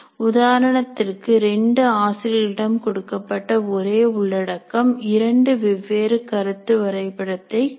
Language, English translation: Tamil, For example, the same content that is given to two teachers, they may create the two slightly different concept maps rather than the identical ones